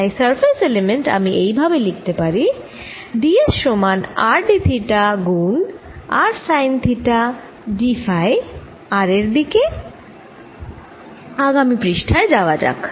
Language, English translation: Bengali, so the surface element i can write in this form is d s is equal to r d theta times r sine theta d phi in r direction